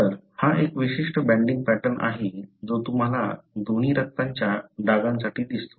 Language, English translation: Marathi, So, this is a particular banding pattern that you see in, for both the blood spots